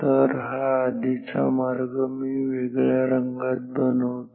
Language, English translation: Marathi, So, this was the previous path let me make it a different colour ok